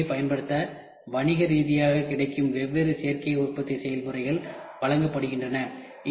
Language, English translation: Tamil, To take the advantage of this fact, different additive manufacturing processes that are commercially available are presented